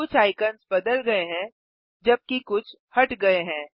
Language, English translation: Hindi, Some icons have been replaced while others have been removed